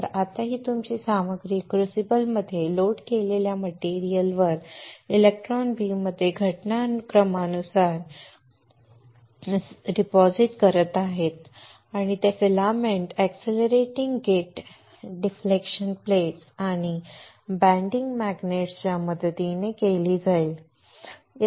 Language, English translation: Marathi, So now, you are depositing this material by incident by incident thing the electron beam right by incident in the electron beam on the material which is loaded in the crucible and that is done with the help of filament accelerating gate deflection plates and the bending magnet